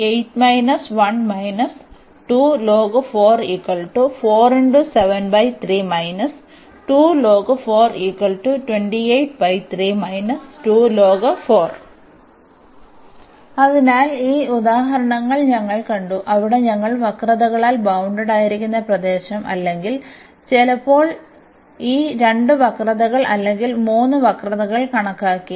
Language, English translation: Malayalam, So, we have seen these 3 examples, where we have computed the area bounded by the curves or sometimes these two curves or the 3 curves